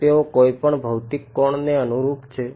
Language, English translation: Gujarati, Do they correspond to any physical angle